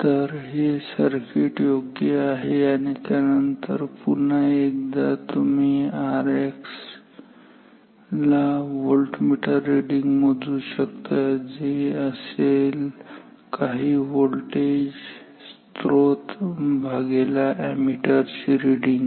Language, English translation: Marathi, So, this circuit is better and then once again you can measure R X as the voltmeter reading whatever the voltmeter source divided by the ammeter reading